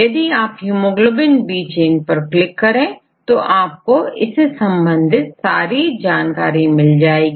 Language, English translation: Hindi, So, if you click the hemoglobin B chain and click on search typically here